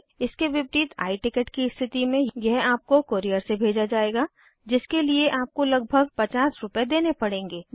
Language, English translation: Hindi, You need identity proof at the time of travel however, In case of I Ticket it will be sent by a courier of course you have to pay for this about Rs 50